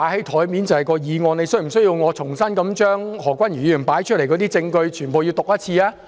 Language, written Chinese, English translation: Cantonese, 他是否需要我重新將何君堯議員列出的證據全部讀一次？, Does he need me to read out once again all the evidence listed by Dr Junius HO?